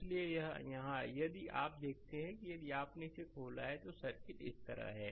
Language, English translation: Hindi, So, here if you look into that if you have open it, the circuit is like this